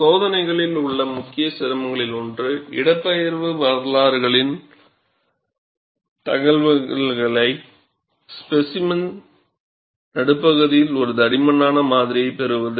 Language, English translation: Tamil, One of the main difficulties in the experiments, is obtaining the information of displacement histories at mid section, in a thick specimen